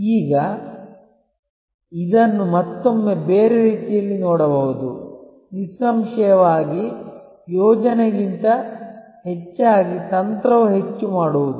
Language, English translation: Kannada, Now, this is again can be looked at from another different way that; obviously, a strategy is more of doing rather than planning